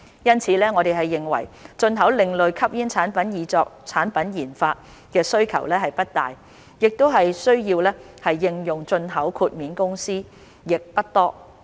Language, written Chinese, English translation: Cantonese, 因此，我們認為進口另類吸煙產品以作產品研發的需求不大，需要應用進口豁免的公司亦不多。, Therefore we believe that there is not much demand for importing ASPs for product development and not many companies need to apply the exemption for import